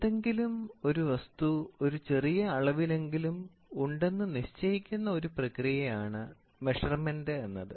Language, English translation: Malayalam, So, measurement is a process of determination of anything that exists in some amount